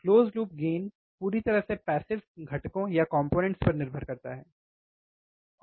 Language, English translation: Hindi, Next, close loop gain depends entirely on passive components, right